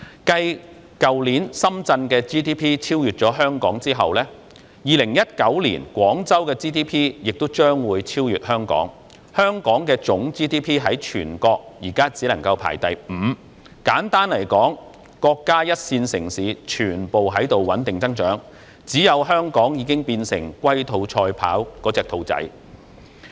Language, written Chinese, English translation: Cantonese, 繼去年深圳的 GDP 超越香港後 ，2019 年廣州的 GDP 亦將會超越香港，香港的總 GDP 在全國現在只排第五，簡單來說，國家一線城市全部均在穩定增長，只有香港已經變成龜兔賽跑中的兔子。, GDP of Hong Kong currently ranks merely the fifth in the whole country . Simply put all the first - tier cities of the country are enjoying steady growth . Hong Kong alone has become the hare in the race against the tortoise